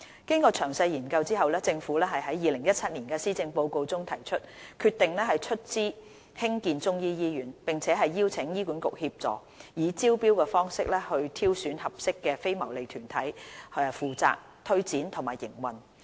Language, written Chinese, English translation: Cantonese, 經詳細研究後，政府於2017年施政報告中提出，決定出資興建中醫醫院，並邀請醫管局協助，以招標方式挑選合適的非牟利團體負責推展和營運。, After thorough deliberation the Government announced in the 2017 Policy Address that it has decided to finance the construction of a Chinese medicine hospital and invite HA to assist in identifying a suitable non - profit - making organization by tender to take forward the project and operate the hospital